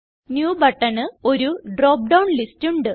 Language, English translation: Malayalam, New button has a drop down list